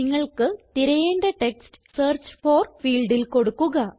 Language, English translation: Malayalam, Enter the text that you want to search for in the Search for field